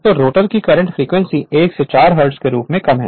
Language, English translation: Hindi, So, that the frequency of the rotor current is as low as 1 to 4 hertz right